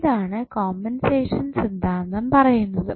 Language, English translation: Malayalam, So, this is what compensation theorem says